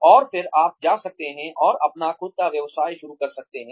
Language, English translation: Hindi, And then, you can go and start your own business